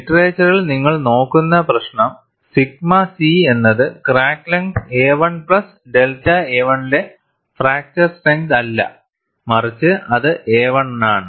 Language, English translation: Malayalam, And the issue, what you look at in the literature is, sigma c is not fracture strength at crack length a 1 plus delta a 1, but it is for a 1